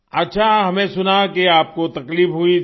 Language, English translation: Hindi, Well I heard that you were suffering